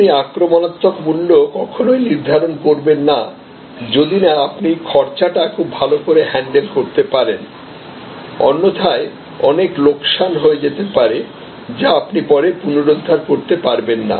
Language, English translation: Bengali, Now, you cannot taken aggressive pricing stands, unless you have a very good handle on your cost; otherwise, will land up into lot of loss which you may not be able to recover later